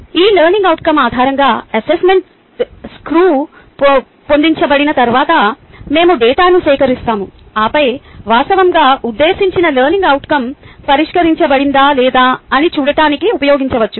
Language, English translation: Telugu, once the assessment task is designed based on this learning outcome, we could gather data which can be then used to look if the actual intended learning outcome has been addressed or not